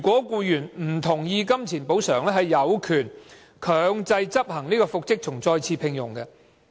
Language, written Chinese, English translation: Cantonese, 僱員若不同意僱主以金錢作補償，他有權強制執行復職或再次聘用令。, If the employee does not accept the employers monetary compensation he has the right to mandatorily enforce the order for reinstatement or re - engagement